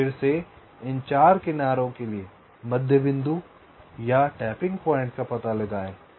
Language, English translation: Hindi, so again find out the middle points or the tapping points for these four edges